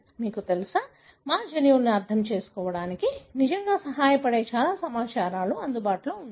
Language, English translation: Telugu, So, you know, lot of wealth of information available that really helps us to understand our genomes